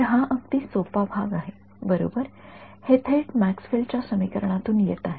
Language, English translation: Marathi, So, this is an easy part right this is coming straight out of Maxwell’s equation ok